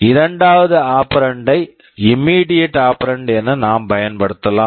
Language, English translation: Tamil, I can use the second operand as an immediate operand